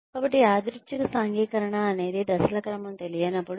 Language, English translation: Telugu, So, and random socialization is when, the sequence of steps is not known